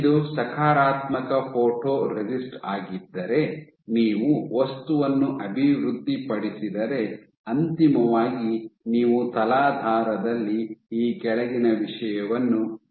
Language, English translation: Kannada, So, if this was a positive photoresist, if you develop the material then eventually you will have the following thing on the substrate